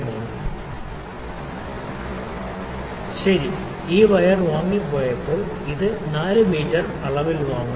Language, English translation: Malayalam, 99, well, this wire when it was purchased, it is purchased in the dimension 4 mm